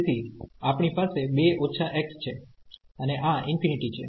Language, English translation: Gujarati, So, we have 2 minus x and this is infinity